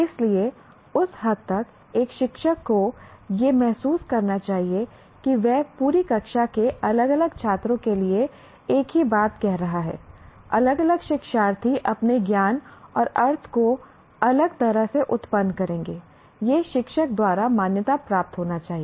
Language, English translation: Hindi, So to that extent a teacher should realize, though he is saying the same thing to the entire class, different students, different learners will generate their knowledge and meaning differently